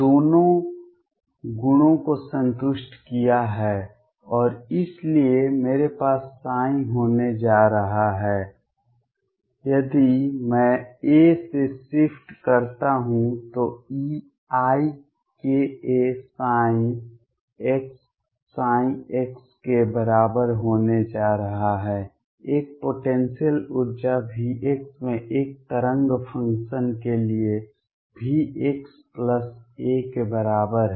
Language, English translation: Hindi, Has satisfy both the properties, and therefore I am going to have psi if I shift by a is going to be equal to e raise to i k a psi of x, for a wave function in a potential energy V x equals V x plus a